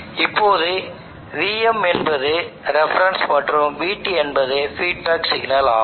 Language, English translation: Tamil, Now VM is the reference we want VM here to be the reference and VT is the feedback signal